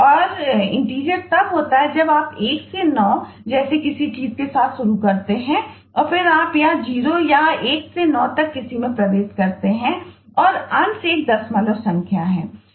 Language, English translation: Hindi, 0 is just when you enter a 0 and eh intt is when you enter with starting with something like 1 to 9, and then you enter any of 0 or 1 to 9 and fraction is a decimal number